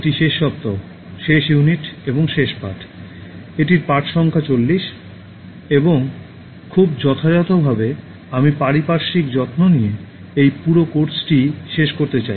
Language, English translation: Bengali, This is the last week, last unit and the last lesson, that is lesson number 40, and very appropriately I want to conclude this entire course with Care for Environment